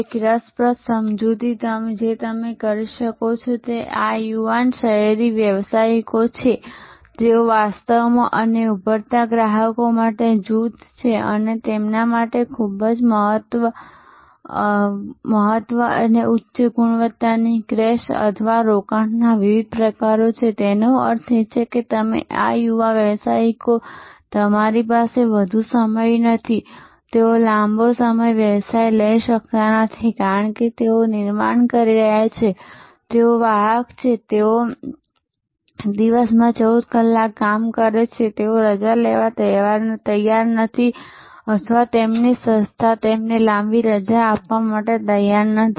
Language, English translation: Gujarati, An interesting explanation that you can do is this young urban professionals they are actually and emerging big group of consumers and for them different types of very high quality crash or staycations; that means, you this young professionals you do not have much of time they cannot take a long vocation, because they are building, they are carrier, they are working a 14 hours a day and they are not prepared to take leave or their organization is reluctant to give them long leave